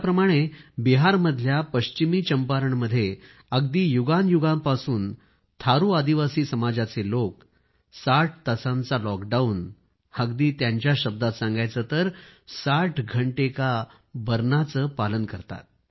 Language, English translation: Marathi, For example, in West Champaran district of Bihar, people belonging to Thaaru tribal community have been observing a sixtyhour lockdown for centuries…